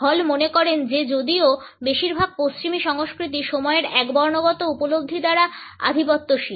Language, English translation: Bengali, Hall feels that even though most of the western cultures are dominated by the monochronic perception of time